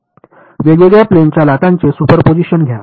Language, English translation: Marathi, Take the superposition of different plane waves right